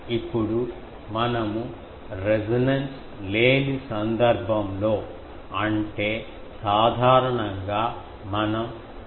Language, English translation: Telugu, Now, if we are off resonance; that means, generally we make that l is equal to instead of 0